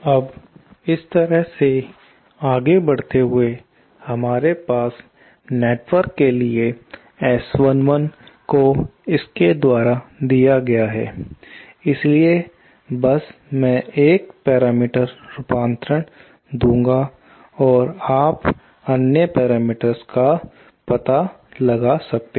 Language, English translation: Hindi, Now, proceeding this way, we have S 11 for the network is given by this, so I will just give one parameter conversion and you can maybe find out for the other parameters